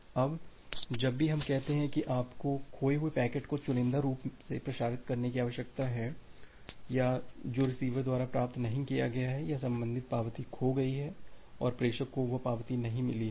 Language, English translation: Hindi, Now, whenever we say that you need to selectively transmit the lost packet or which has been not received by the receiver or the corresponding acknowledgement has been lost and the sender has not received that acknowledgement